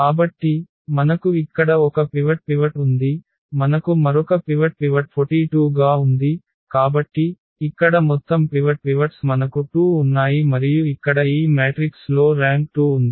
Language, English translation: Telugu, So, we have one pivot here, we have another pivot as 42, so, the total pivots here we have 2 and that is what the rank here is of this matrix is 2